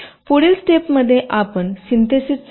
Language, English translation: Marathi, in the next step you go for synthesis